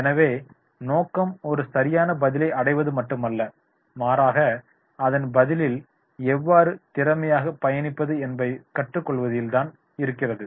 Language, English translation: Tamil, So the goal is not arrive at one right answer but to learn how to journey towards an answer effectively and efficiently